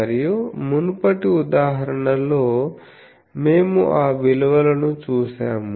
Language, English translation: Telugu, And in the previous example, we have seen various those values that